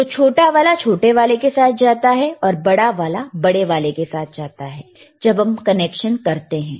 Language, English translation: Hindi, So, the shorter that goes with shorter and one longer one who goes with longer one when you make the connection